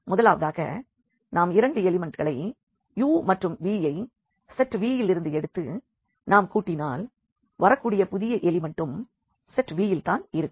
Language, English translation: Tamil, The first one is that if we take two elements u and v from this set V and if we add them the new elements should also belong to this set V